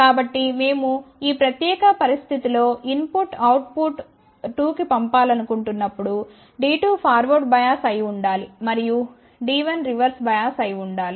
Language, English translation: Telugu, So, when we want to send the input to the output 2 in that particular situation D 2 should be forward bias, and D 1 should be reverse bias